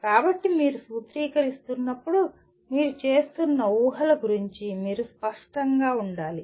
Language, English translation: Telugu, So when you are formulating, you have to be clear about what the assumptions that you are making